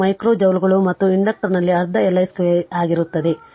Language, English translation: Kannada, 2 micro joules right and that in the inductor will be your half L i square